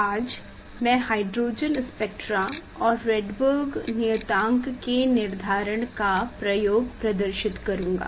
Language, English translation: Hindi, today I will demonstrate hydrogen spectra and determination of Rydberg constant